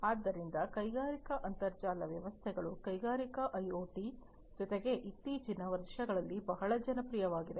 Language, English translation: Kannada, So, industrial internet systems is something, that has also become very popular, in the recent years along with industrial IoT